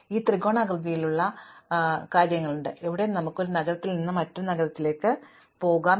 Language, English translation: Malayalam, We have this triangular kind of things, where we could go from one city to another there and back